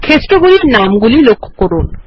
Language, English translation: Bengali, Look at the field names